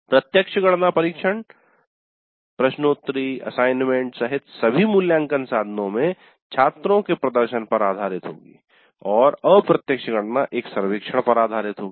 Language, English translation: Hindi, The direct computation would be based on the performance of the students in all the assessment instruments including tests, quizzes, assignments